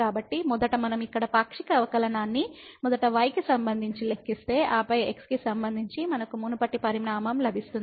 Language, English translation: Telugu, So, first of all we should note that if we compute the partial derivative here first with respect to , and then with respect to we will get the same quantity as before